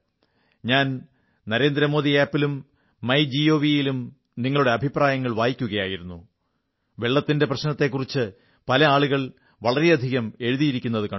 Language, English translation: Malayalam, I was reading your comments on NarendraModi App and Mygov and I saw that many people have written a lot about the prevailing water problem